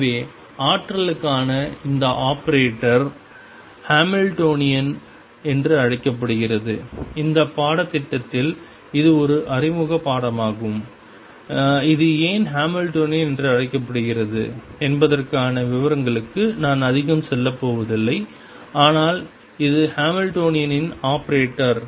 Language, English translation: Tamil, So, this operator for the energy is known as the Hamiltonian and in this course this is an introductory course, I am not going to go more into details of why this is called Hamiltonian, but this is the Hamiltonian operator